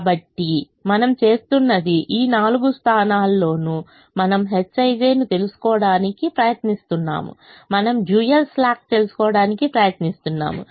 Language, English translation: Telugu, so what we are doing is, in all these four positions we are trying to find out the h i j, we are trying to find out the dual slack